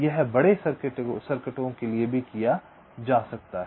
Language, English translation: Hindi, it can be done for large circuits also